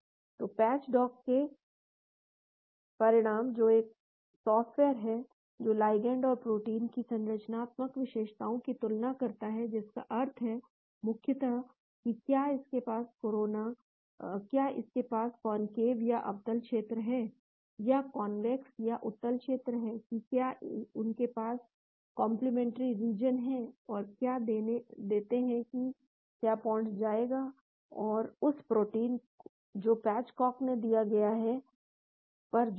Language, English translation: Hindi, So, the results of patch dock, which is a software that compares the structural features of the ligand and the protein that means basically whether it is got concave regions and convex regions, whether they have a complementary regions and predict whether the ligand will go and bind to that protein that is given by patch dock